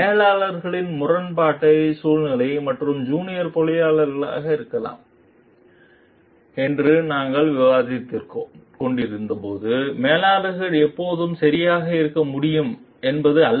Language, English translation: Tamil, As we were discussing in the conflicting situations of managers and maybe the junior engineer, so it is not that like the manager can always be right